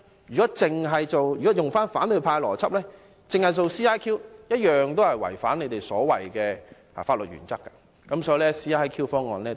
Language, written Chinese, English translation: Cantonese, 如果按照反對派的邏輯，只是使用 CIQ 安排，同樣會違反他們所謂的法律原則，所以 CIQ 方案同樣不夠好。, By the logic of the opposition camp the use of CIQ arrangements alone will similarly violate their so - called legal principle so the CIQ proposal is not good enough either